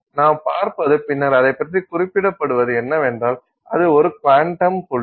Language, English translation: Tamil, And what we see, what it is then referred to is that it is referred to as a quantum dot